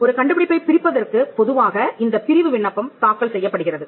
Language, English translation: Tamil, A divisional application is normally filed to divide an invention